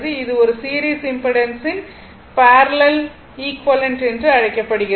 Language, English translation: Tamil, Now, next is that parallel equivalent of a series impedance right